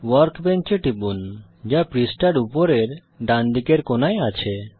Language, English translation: Bengali, Click Workbench which is at the top right corner of the page